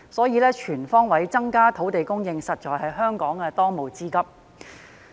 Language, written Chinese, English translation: Cantonese, 因此，全方位增加土地供應，實在是香港當務之急。, Therefore increasing land supply on all fronts is the most urgent task for Hong Kong